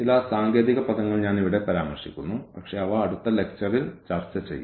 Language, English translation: Malayalam, So, some technical terms I am just mentioning here, but they will be discussed in the next lecture